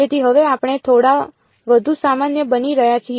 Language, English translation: Gujarati, So, now, we are sort of becoming a little bit more general